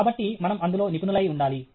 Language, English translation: Telugu, So, we should be good in that